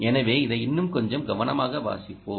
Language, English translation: Tamil, so let us read this a little more carefully